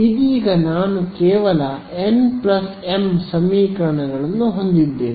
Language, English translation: Kannada, I am going to get another m equations